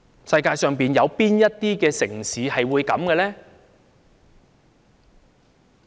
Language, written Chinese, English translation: Cantonese, 世界上有哪些城市會這樣呢？, Which city in the world will let this happen?